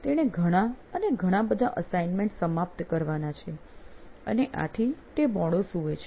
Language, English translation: Gujarati, Well, he had tons and tons of assignments to finish and that's why he slept late